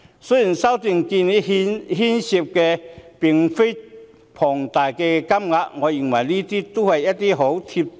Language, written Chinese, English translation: Cantonese, 雖然修訂建議涉及的金額不多，但我認為這些建議均很"貼地"。, Whilst the proposed amendments do not involve a large amount of money I regard these proposals as most down - to - earth